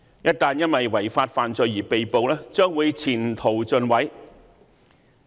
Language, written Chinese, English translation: Cantonese, 一旦因違法犯罪而被捕，將會前程盡毀。, When a person is caught for breaking the law his future is over